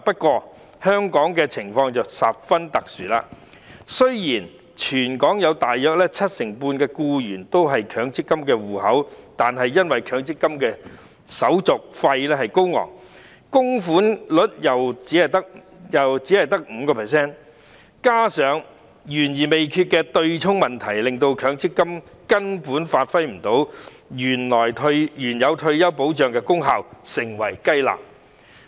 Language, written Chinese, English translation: Cantonese, 然而，香港的情況十分特殊，雖然大約七成半的僱員擁有強積金戶口，但因為手續費高昂，供款率亦只有 5%， 加上懸而未決的對沖問題，令強積金根本發揮不到退休保障的功效而成為"雞肋"。, Nevertheless the case is very special in Hong Kong . Although some 75 % of employees have MPF accounts the contribution rate is merely 5 % due to exorbitant handling fees and coupled with the pending offsetting issue MPF simply fails to perform the function of retirement protection and has become a chicken rib